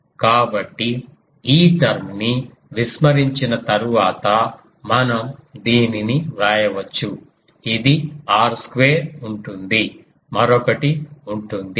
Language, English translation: Telugu, So, we can write this after neglecting this term that; this will be r square along there will be another one